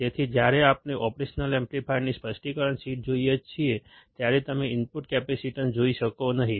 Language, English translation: Gujarati, So, when we see a specification sheet of an operational amplifier, you may not be able to see the input capacitance